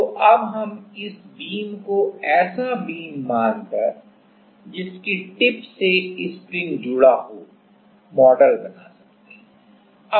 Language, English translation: Hindi, So, in now we can model this beam considering just a spring connected to the tip of the beam